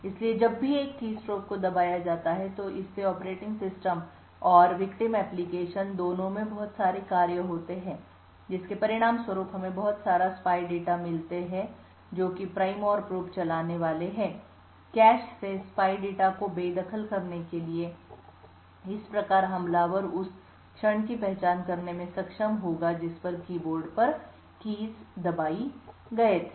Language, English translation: Hindi, So whenever a keystroke is pressed it results in a lot of different functions both in the operating system and both in the victim application that gets executed, as a result we would have a lot of the spy data which is running the Prime and Probe to be evicted from the cache thus the attacker would be able to identify the instant at which the keys on the keyboard were pressed